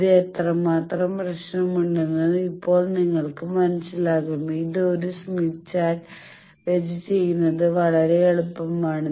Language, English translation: Malayalam, Now you will understand how much problem you have and it is much easier to do it a smith chart